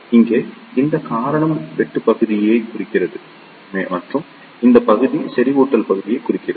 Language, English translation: Tamil, Here, this reason represents the cutoff region and this region represents the saturation region